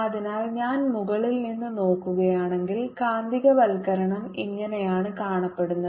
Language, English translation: Malayalam, so if i look at it from the top, this is how the magnetization looks